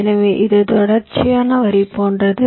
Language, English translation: Tamil, so it is like a continues line